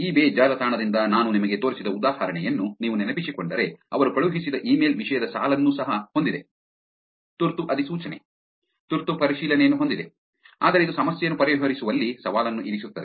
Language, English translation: Kannada, If you remember the example that I showed you from eBay website, an email that they sent has a subject line also has urgent notification, urgent verification, but this actually puts a challenge on solving the problem